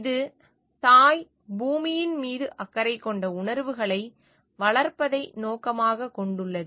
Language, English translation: Tamil, It aims at nurturing the feelings of having care for mother earth